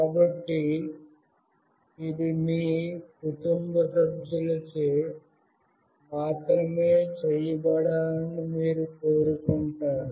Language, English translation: Telugu, So, you want it to be done only by your family members